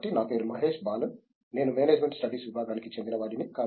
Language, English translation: Telugu, So, my name is Mahesh Balan, I am from Management Studies Department